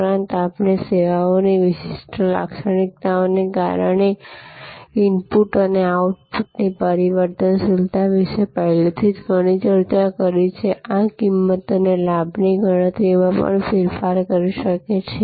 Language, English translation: Gujarati, Also, we have already discussed a lot about the variability of inputs and outputs due to the particular characteristics of the services and this can also change the cost and benefit calculations